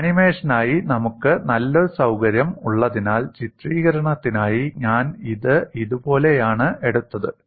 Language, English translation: Malayalam, And since we have a nice facility for animation for illustration I have taken it like this